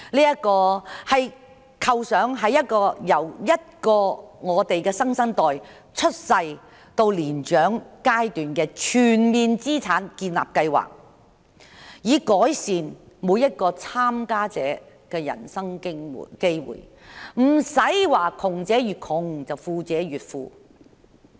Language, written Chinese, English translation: Cantonese, 這個構想是一個為新生代由出生到年長階段建立資產的全面計劃，目的是改善每一名參加者的人生機會，不會窮者越窮，富者越富。, This idea is a comprehensive plan for building assets for the new generations from birth to their old age with the aim to improve the chances of each participant in life instead of having the poor the poorer and the rich the richer